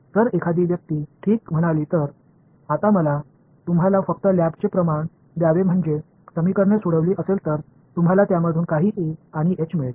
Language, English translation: Marathi, If I if someone says ok, now give me the lab quantity all you have to do is supposing you solve these equations you got some E and H out of it